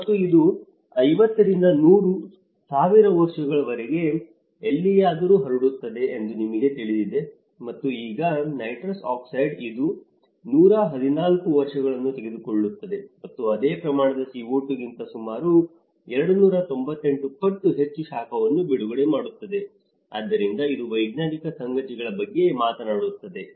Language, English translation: Kannada, And this takes about anywhere from 50 to 1000’s of years to you know get diffused and so now, nitrous oxide it takes 114 years and releases more heat about 298 times than the same amount of CO2, so this is the scientific facts that which talk about, this is actually from the Intergovernmental Panel on climate change in the fourth assessment report